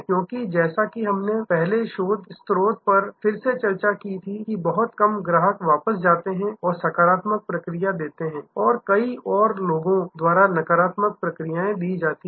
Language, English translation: Hindi, Because, as we discussed again earlier research source that a very few people even they go back and give positive feedback, the negative feedback’s are given by many more people